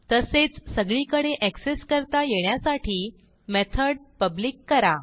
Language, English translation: Marathi, Also make the method public, that is accessible everywhere